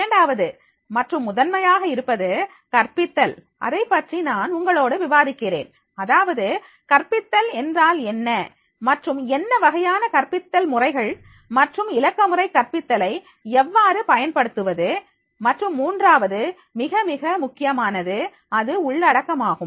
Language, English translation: Tamil, Second and foremost is a that is the pedagogy, that I will discuss with you that is what is the pedagogy and then what different methods of pedagogy and how to make the use of the digital pedagogy, and third very, very important is that is a content